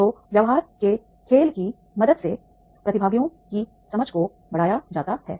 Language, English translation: Hindi, So with the help of the business game, the participants understanding that is enhances